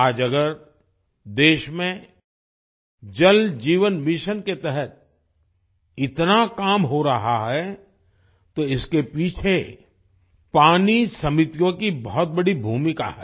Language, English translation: Hindi, Today, if so much work is being done in the country under the 'Jal Jeevan Mission', water committees have had a big role to play in it